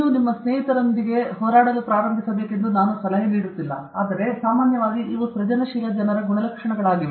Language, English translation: Kannada, I am not suggesting it you that you should start fighting with your friends and all that, but generally these are the characteristics of creative people